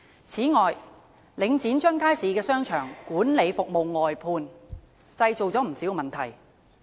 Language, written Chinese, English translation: Cantonese, 此外，領展將街市商場的管理服務外判，製造不少問題。, Moreover the outsourcing of management of markets and shopping arcades by Link REIT has created a number of problems